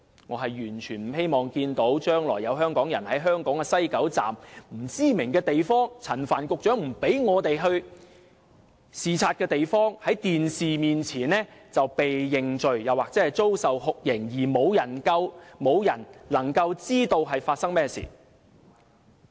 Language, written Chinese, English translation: Cantonese, 我完全不希望看到將來有香港人，在香港西九龍站內不知名的地方即陳帆局長不讓我們前往視察的地方在電視面前"被認罪"或遭受酷刑而無人能夠知道發生甚麼事。, In the future I absolutely do not wish to see any Hong Kong resident being shown to have made confessions to crime on television or being subjected to torture in some unknown location in Hong Kongs WKS that is in the places that Secretary Frank CHAN did not allow us to visit